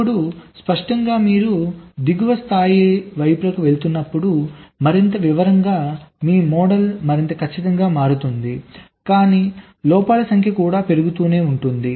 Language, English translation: Telugu, now clearly, so as you go towards the lower levels, more detail description, your model will become more accurate, but the number of faults can also go on increasing